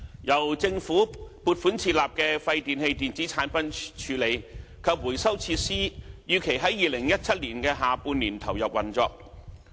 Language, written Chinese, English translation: Cantonese, 由政府撥款設立的廢電器電子產品處理及回收設施預期於2017年下半年投入運作。, The WEEE treatment and recycling facility WEEETRF funded by the Government is expected to commence operation in the second half of 2017